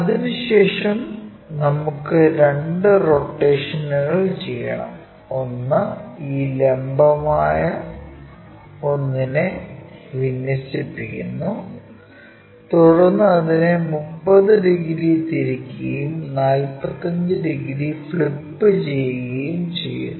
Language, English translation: Malayalam, After that because two rotations we have to do; one is first aligning this entire vertical one, then rotating it by 30 degrees then flipping it by 45 degrees